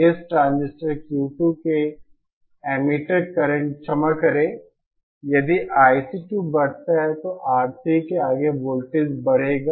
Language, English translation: Hindi, Pardon the emitter current of this transistor Q 2 if I C 2, increases then the voltage across R3 will increase